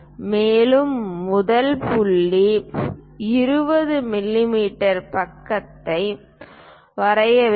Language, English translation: Tamil, Further the first point is draw a 20 mm side